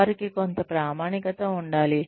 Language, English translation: Telugu, There should be, some validity to them